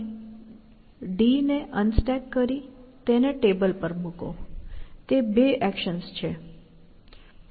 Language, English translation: Gujarati, You unstack d, put it on the table; that is two actions